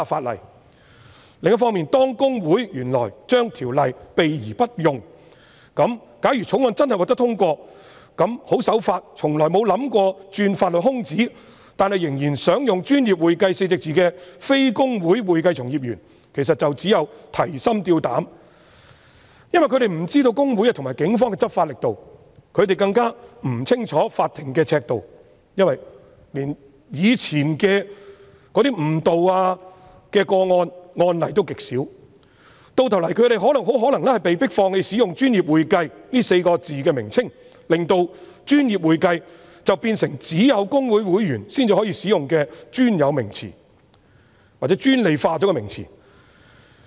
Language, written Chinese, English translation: Cantonese, 另一方面，公會原來對《條例》避而不用，假如《條例草案》真的獲得通過，那麼十分守法，從來沒有意圖鑽法律空子，但仍然想使用"專業會計"稱謂的非公會會計從業員便會提心吊膽，因為他們不知道會公會和警方的執法力度，他們更不清楚法庭的尺度，因為連過去的誤導個案及案例也極少，到頭來他們很可能被迫放棄使用"專業會計"的稱謂，令"專業會計"變成只有公會會員才能使用的專有名詞，或專利化的名詞。, If the Bill is passed law - abiding accounting practitioners not registered with HKICPA who only wish to use the description professional accounting without any intention to exploit the legal loopholes will be very worried . That is because they do not know the strength of law enforcement of HKICPA and the Police nor the criteria to be adopted by the courts since there are very few cases and precedents of false identification in the past . In the end they may be compelled to give up using the description professional accounting